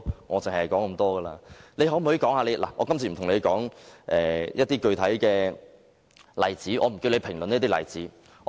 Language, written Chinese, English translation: Cantonese, 我今次不打算與局長討論一些具體例子，我不會要求他評論個別例子。, Let me make myself clear . I do not intend to discuss specific cases with the Secretary in this debate and neither will I ask him to comment on individual cases